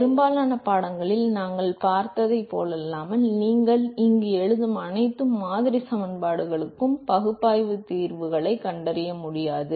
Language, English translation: Tamil, Unlike what we have seen in most of the course, you will not be able to find analytical solutions for all the model equations that you would be writing here after